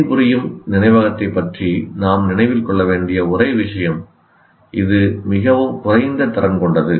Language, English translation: Tamil, See, the only thing that we need to remember about working memory, it is a very limited capacity